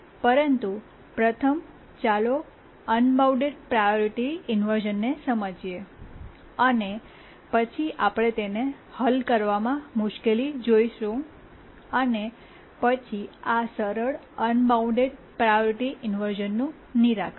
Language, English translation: Gujarati, Let's try to first understand unbounded priority inversion and then we'll see why it is difficult to solve and how can the simple priority inversion problem be solved